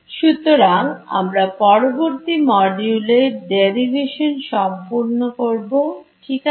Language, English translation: Bengali, So, this we will complete this derivation in the subsequent module ok